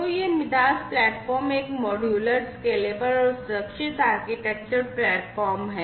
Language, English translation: Hindi, So, this MIDAS platform is a modular, scalable, and secure architectural platform